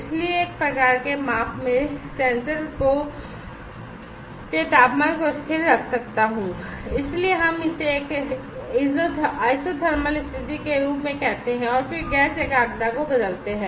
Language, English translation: Hindi, So, in one kind of measurement, I can keep the temperature of the sensor constant, so we call it as a isothermal condition, and then change the gas concentration